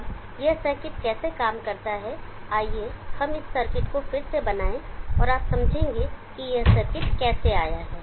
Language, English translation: Hindi, Now how does this circuit operate, let us reconstruct this circuit and you will understand how this circuit has come about